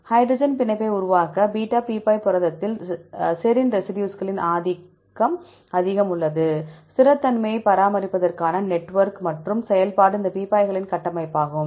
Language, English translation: Tamil, Beta barrel protein have high dominance of serine residues to form the hydrogen bonding network to maintain the stability and the function was a structure of these barrels right